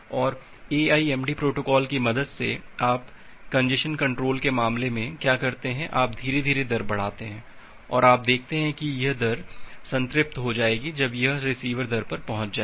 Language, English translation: Hindi, And with this help of the AIMD protocol what you do in case of congestion control, you gradually increase the rate and you see that this rate will gets saturate when it will reach at the receiver rate